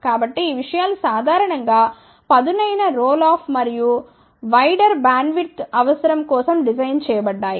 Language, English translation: Telugu, So, these things generally are designed for sharper roll off and for wider bandwidth requirement